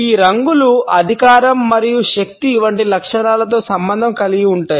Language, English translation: Telugu, These colors are associated with traits like authority and power